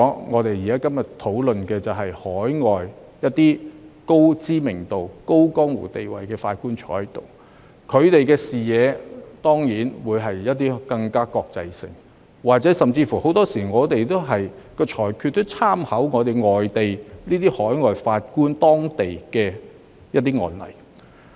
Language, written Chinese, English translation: Cantonese, 我們今天的討論議題，是引入海外高知名度、有江湖地位的法官加入終審法院，他們的視野更國際化，而香港法院的裁決亦經常參考外地的案例。, The subject of our discussion today is the introduction of well - known and respectable judges who have a more global perspective to join CFA and Hong Kong courts often draw reference from overseas cases